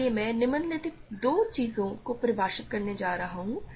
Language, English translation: Hindi, So, I want to define the following two things